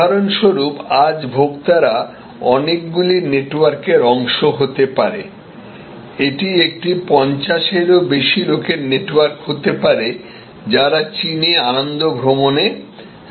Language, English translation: Bengali, For example, today consumers can firm, can be part of many networks, it could be a network of people over 50 wanting to go on a pleasure trip across China